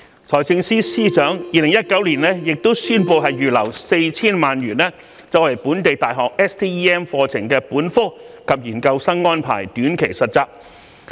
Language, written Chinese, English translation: Cantonese, 財政司司長亦於2019年宣布預留 4,000 萬元，為本地大學 STEM 課程本科及研究生安排短期實習。, The Financial Secretary also announced in 2019 that 40 million would be set aside to subsidize short - term internships for undergraduates and postgraduates taking STEM programmes in local universities